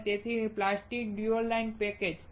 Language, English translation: Gujarati, And hence plastic dual inline package